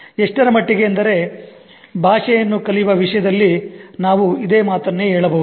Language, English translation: Kannada, So much so we can say the same thing about in terms of learning a language